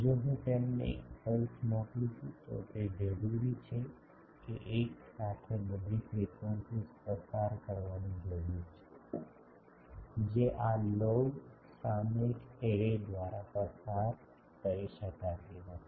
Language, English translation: Gujarati, If I send a pulse to them, it needs that simultaneously all the frequencies need to be passed, that cannot be passed by this log periodic array